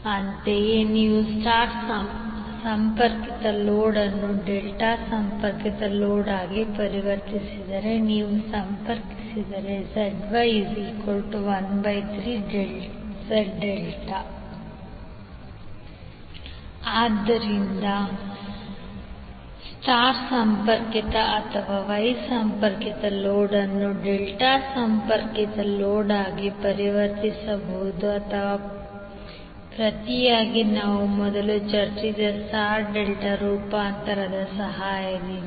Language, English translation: Kannada, Similarly ZY will be 1 upon 3 of Z delta if you connect if you convert a star connected load into delta connected load, so we can say that the star connected or wye connected load can be transformed into delta connected load, or vice versa with the help of the star delta transformation which we discussed earlier